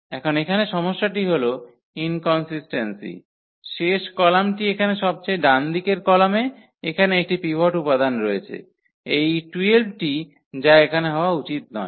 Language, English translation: Bengali, Now, the problem here is the inconsistency the last column the right most column here has a pivot element here this 12 which should not happen